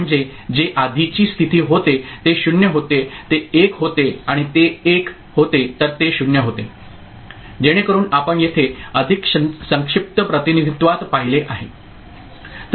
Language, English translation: Marathi, That means, whatever has been the previous state, 0 it becomes 1 and if it was 1 it becomes 0, so that is what you have seen over here in a more compact representation